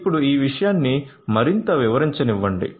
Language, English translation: Telugu, So, let me now elaborate this thing further